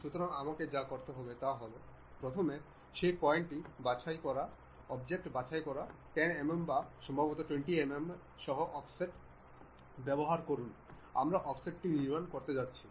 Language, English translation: Bengali, So, what I have to do is first pick that point uh pick that object then use Offset with 10 mm or perhaps 20 mm we are going to construct offset